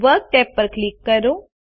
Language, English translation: Gujarati, Click the Work tab